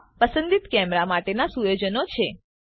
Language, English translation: Gujarati, These are the settings for the selected camera